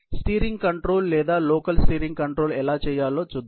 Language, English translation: Telugu, Let us look at how to steer or how to perform steering control, local steering control